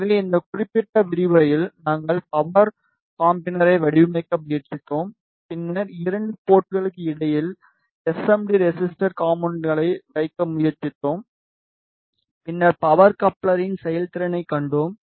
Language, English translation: Tamil, So, in this particular lecture we tried to design the power combiner and then we tried to put the SMD resistor component between the 2 ports and then we saw the performance of power combiner